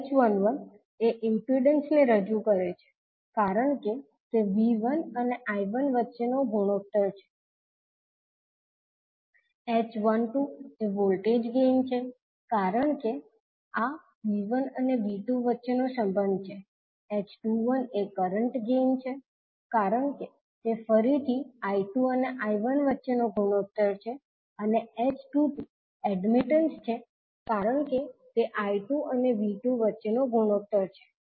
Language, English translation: Gujarati, h11 represents the impedance because it is the ratio between V1 and I1, h12 is the voltage gain because this is a relationship between V1 and V2, h21 is the current gain because it is again the ratio between I2 and I1 and h22 is the admittance because it is ratio between I2 and V2